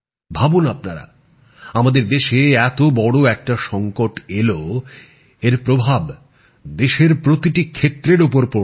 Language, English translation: Bengali, Think for yourself, our country faced such a big crisis that it affected every system of the country